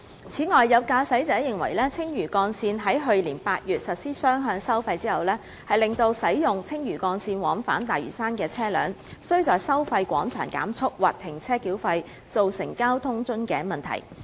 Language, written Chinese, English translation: Cantonese, 此外，有駕駛者認為，青嶼幹線於去年8月實施雙向收費，令使用青嶼幹線往返大嶼山的車輛需在收費廣場減速或停車繳費，造成交通樽頸問題。, Furthermore some drivers opine that the two - way toll collection of the Lantau Link implemented in August last year has made it necessary for vehicles travelling to and from Lantau via the Lantau Link to slow down or stop at the toll plaza to pay the toll resulting in a traffic bottleneck